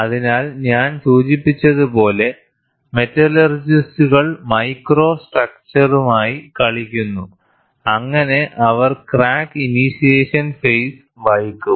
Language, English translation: Malayalam, So, as I mentioned, the metallurgists play with the micro structure, so that they are in a position to delay the crack initiation phase, and mean stress thus play a role